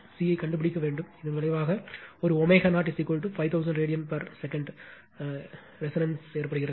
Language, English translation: Tamil, You have to find C, which results in a resonance omega 0 is equal to 5000 radian per second right